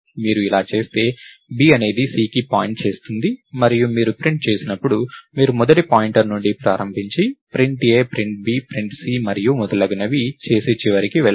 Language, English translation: Telugu, If you do this, b will point to c and when you print, you start from the first pointer, print a, print b, print c and so, on and go to the end